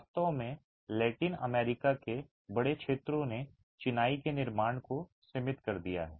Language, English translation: Hindi, In fact, large areas of Latin America have confined masonry constructions